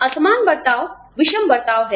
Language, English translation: Hindi, Disparate treatment is unequal treatment